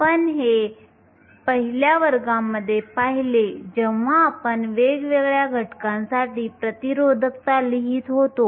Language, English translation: Marathi, We saw this in the first class when we wrote down resistivities for different elements